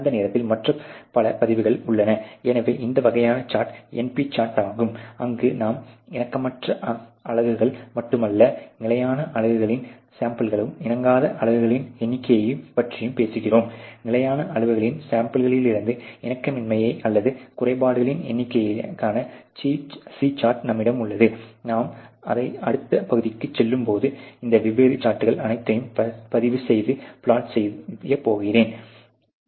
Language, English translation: Tamil, Simultaneously the many other recordings, so this kinds of the chart there is the NP chart where you talk about not only the units which are non conforming, but the number of units which are non conforming for samples of constant sizes, you have the C chart for the number of non conformity or defects from samples of constant sizes I am going to record and plot; all these different charts as we go along